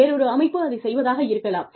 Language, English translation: Tamil, May be another organization, that is doing it